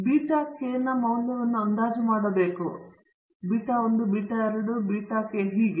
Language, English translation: Kannada, We have to estimate the values of beta naught, beta 1, so on to beta k